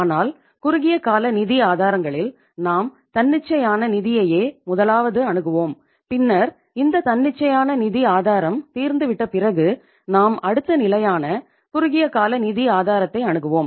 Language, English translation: Tamil, But in the short term sources of the funds, first we talk about the spontaneous finance and once the spontaneous source of the finance is exhausted then we move to the next level that is the short term sources of the finance